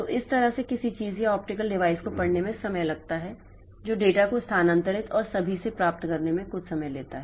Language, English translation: Hindi, So, that way it takes time to read something or an optical device that takes some time to get the data for transferred and all